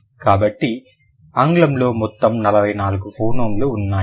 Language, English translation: Telugu, So, English will have 44 phonyms in total